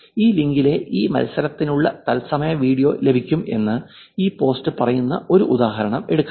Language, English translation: Malayalam, Here is an example where this post is actually saying live video for this match, right